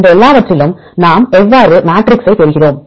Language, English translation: Tamil, Among all these things how we derive the matrix